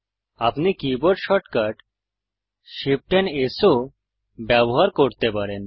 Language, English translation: Bengali, You can also use the keyboard shortcut Shift S